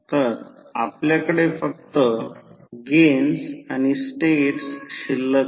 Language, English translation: Marathi, So, we are left with the only gains and the states